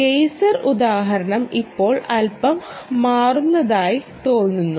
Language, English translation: Malayalam, thats why i said the geyser example looks a little shaky at the moment